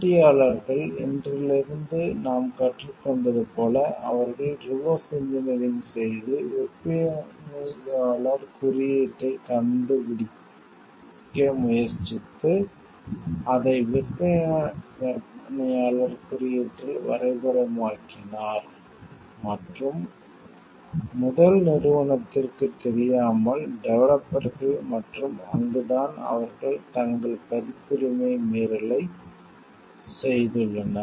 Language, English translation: Tamil, Competitors as we have learned from today they have done, a reverse engineering and tried to find out the vendor code and, mapped it to the vendor code and without the knowledge of the first company the developers and, that is where they have they violated their copyright